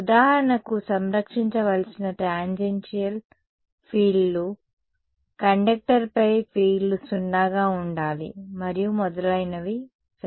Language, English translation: Telugu, For example, tangential fields to be conserved, fields to be zero on a conductor and so on ok